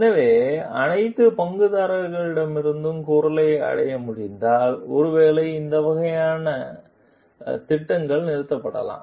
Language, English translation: Tamil, So, that the if like voice could be reached from all the stakeholders maybe this kind of like projects may be stopped